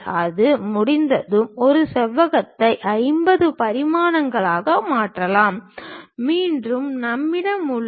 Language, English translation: Tamil, Once that is done, we can convert this rectangle which 50 dimensions, again we have